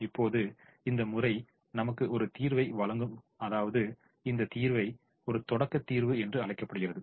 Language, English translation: Tamil, now, this method which gives us a solution, now we are going to call this solution as a starting solution